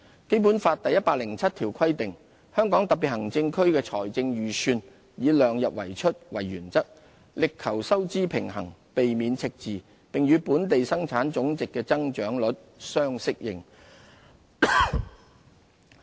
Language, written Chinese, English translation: Cantonese, 《基本法》第一百零七條規定："香港特別行政區的財政預算以量入為出為原則，力求收支平衡，避免赤字，並與本地生產總值的增長率相適應"。, Public spending must be fit for purpose . Article 107 of the Basic Law stipulates that The Hong Kong Special Administrative Region shall follow the principle of keeping expenditure within the limits of revenues in drawing up its budget and strive to achieve a fiscal balance avoid deficits and keep the budget commensurate with the growth rate of its gross domestic product